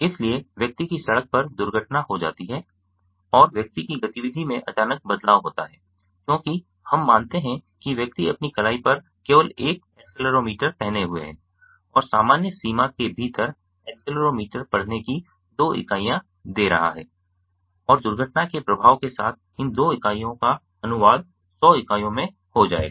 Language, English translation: Hindi, so the person meets with an accident on the road and there is a sudden change in the persons activity since, let us suppose, the person is only wearing an accelerometer on his rest and within normal limits the accelerometer is giving two units of reading and the impact of with the impact of the accident, these two units will be translated to hundred units